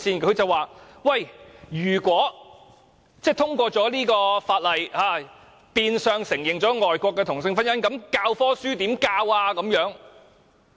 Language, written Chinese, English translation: Cantonese, 他說如果通過《條例草案》，變相承認外國的同性婚姻，教科書的內容怎麼辦？, He said that the Bill if passed would indirectly recognize same - sex marriage contracted overseas and in that case what should we do about the contents of the textbooks?